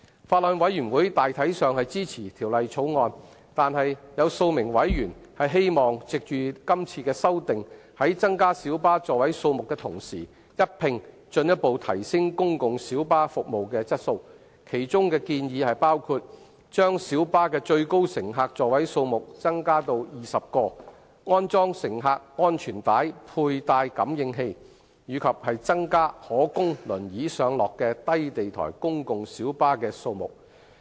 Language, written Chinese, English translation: Cantonese, 法案委員會大體上支持《條例草案》，但有數名委員希望藉着今次的修例，在增加小巴座位數目的同時，一併進一步提升公共小巴服務的質素，其中的建議包括：將小巴的最高乘客座位數目增加至20個、安裝乘客安全帶佩戴感應器，以及增加可供輪椅上落的低地台公共小巴的數目。, The Bills Committee basically supports the Bill but a few members wish to take the opportunity to further enhance the quality of PLB services alongside the legislative amendment exercise to increase the number of seats in light buses . The relevant proposals include increase the maximum passenger seating capacity of light buses to 20; install passenger seat belt sensors and increase the number of low - floor wheelchair - accessible PLBs